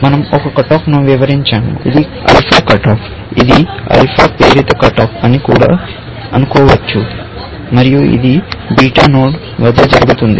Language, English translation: Telugu, We have illustrated one cut off, which is alpha cut off, which you can also think of as alpha induced cut off, and it happens at the beta node